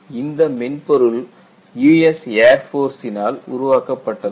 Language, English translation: Tamil, And this is developed by Air force personnel